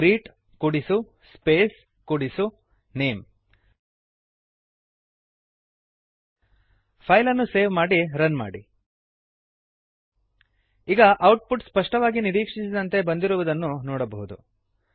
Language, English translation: Kannada, greet plus SPACE plus name save the file and run it Now we can see the output is clear and as expected